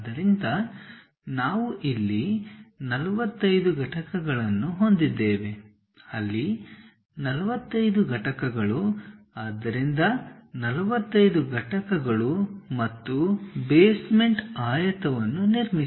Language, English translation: Kannada, So, whatever 45 units we have here here 45 units there, so 45 units 45 units and construct the basement rectangle